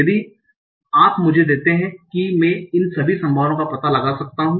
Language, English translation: Hindi, If you give me that, I can find out all these probabilities